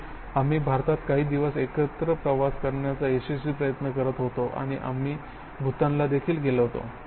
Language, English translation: Marathi, Yes, we have been trying for successfully to do travel together for a few days in India and we went to Bhutan